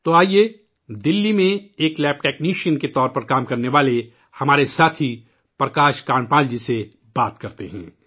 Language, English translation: Urdu, So now let's talk to our friend Prakash Kandpal ji who works as a lab technician in Delhi